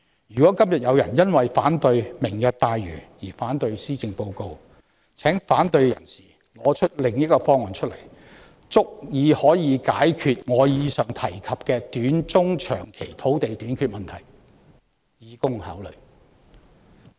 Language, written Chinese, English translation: Cantonese, 如果今天有人因為反對"明日大嶼願景"而反對施政報告，請反對者提出足以解決我剛才提及的短中長期土地短缺問題的替代方案，以供考慮。, If today some people oppose the Policy Address because they oppose the Lantau Tomorrow Vision will such opponents please offer an alternative proposal that would adequately solve the land shortage problem I have just mentioned in the short medium and long terms for our consideration